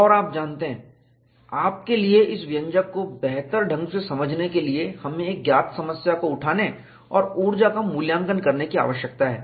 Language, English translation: Hindi, And you know, for you to understand this expression better, we need to take up a known problem and evaluate the energy